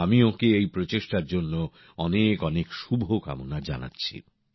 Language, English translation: Bengali, I extend my best wishes on this effort of hers